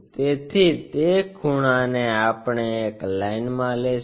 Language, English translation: Gujarati, So, that angle we will align it